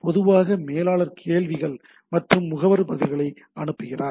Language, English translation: Tamil, Generally, manager sends queries and agents and agent responses